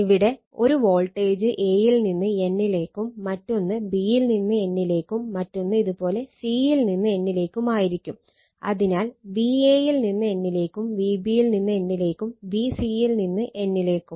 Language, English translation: Malayalam, So, here we have marked that your a, b, c, so one voltage will be a to n, then another will be b to n, another will be your c to n, so V a to n, V b to n, and V c to n right